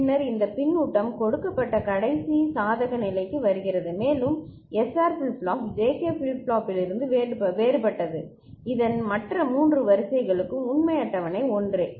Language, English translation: Tamil, And then comes the last case for which actually this feedback is given and SR flip flop is different from JK flip flop otherwise thee remain the other three rows of this truth table is same